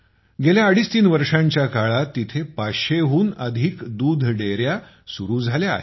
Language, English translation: Marathi, During the last twoandahalf three years, more than 500 dairy units have come up here